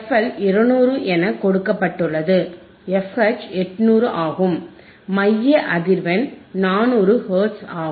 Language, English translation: Tamil, ff LL is 200 given, f H is 800 given, center frequency is 400 quad it done easyHz